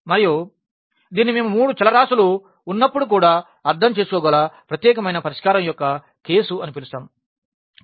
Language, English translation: Telugu, And, this is what we call the case of unique solution that we can also interpret when we have the 3 variables